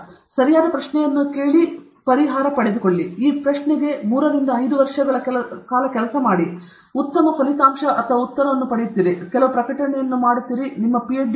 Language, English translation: Kannada, You ask the right question, you solve, you work on this question for three to five years, you get a good answer, you get a couple of publications, you get your Ph